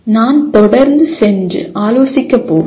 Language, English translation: Tamil, I am not going to keep going and consulting